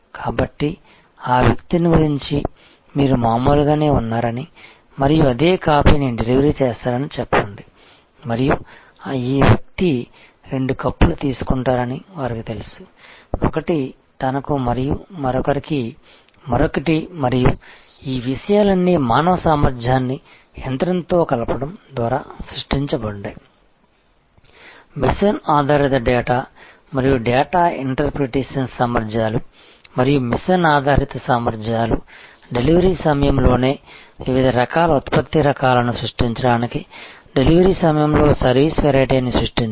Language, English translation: Telugu, So, the recognize the person and say you are usual and the deliver the same coffee and they know that this person takes two cups, one for himself and one for another person and all these things the facilities are created by combining human competence with machine based data and data interpretation capabilities and machine based capabilities to create variety of product varieties right at the point of delivery, service variety right at the point of delivery